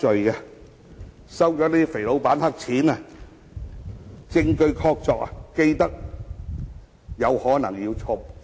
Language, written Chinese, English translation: Cantonese, 他們收取"肥老闆"的黑錢一事證據確鑿，更有可能要坐牢。, There is solid proof that they had accepted black money from the fatty boss and would possibly be sentenced to imprisonment